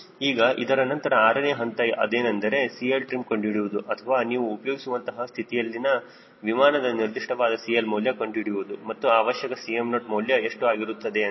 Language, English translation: Kannada, now, after that, step six will be to calculate cl trim, or particular value of cl at which you want to operate your aircraft and what will be the value of cm naught required